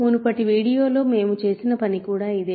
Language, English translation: Telugu, So, this is also something we did in the previous video